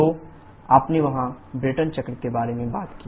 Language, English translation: Hindi, So, you talked about the Brayton cycle there